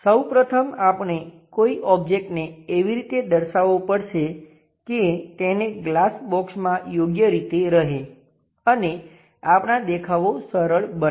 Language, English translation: Gujarati, First of all, we have to orient an object in such a way that it will be appropriate to keep it in the glass box and simplifies our views